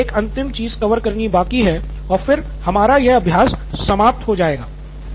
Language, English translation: Hindi, So that is one last cover and we are done with this exercise